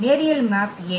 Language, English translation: Tamil, Why linear map